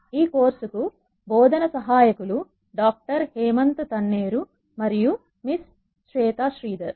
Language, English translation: Telugu, The, teaching assistants for this course are Doctor Hemanth Kumar Tanneru and Miss Shweta Shridhar